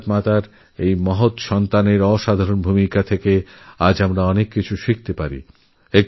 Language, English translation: Bengali, We can learn a lot from the unparalleled saga of this great son of Mother India